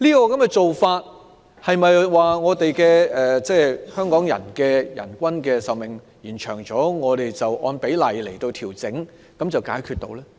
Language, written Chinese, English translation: Cantonese, 此舉是否由於香港人的平均壽命延長，我們據此按比例調整，便可解決問題？, Has the Government proposed such a policy because of the lengthened average life expectancy of Hongkongers and that the problem can be solved by making proportional adjustments in view of this?